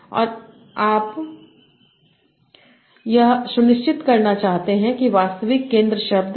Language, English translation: Hindi, And you want to ensure that the actual center word